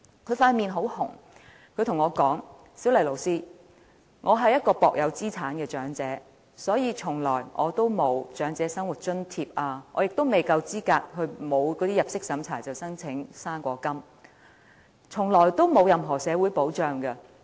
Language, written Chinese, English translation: Cantonese, 她的臉很紅，她跟我說："'小麗'老師，我是一名薄有資產的長者，所以從來沒有領取長者生活津貼，也未夠資格申領不經入息審查'生果金'，從來得不到任何社會保障。, She had this blushing face and she said to me Teacher Siu - lai I am old but as I have some meagre assets I have never applied for any Old Age Living Allowance and I am not eligible for the non - means - tested Old Age Allowance . Therefore I have never received any form of social security protection